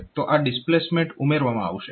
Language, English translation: Gujarati, So, that displacement will be added